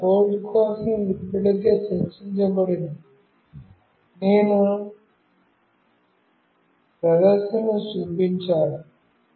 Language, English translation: Telugu, The code for the same was already discussed, I have just shown the demonstration